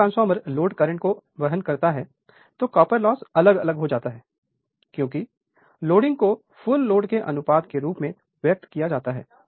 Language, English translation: Hindi, So, when the transformer carries the load current, copper loss varies as the square of the loading expressed as a ratio of the full load